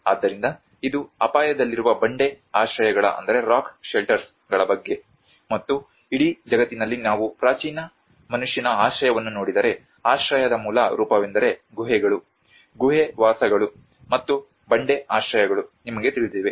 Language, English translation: Kannada, \ \ So, this is about rock shelters at risk; and in the whole world if we look at the ancient man's shelter, the very basic form of shelter is the caves, you know the cave dwellings and the rock shelters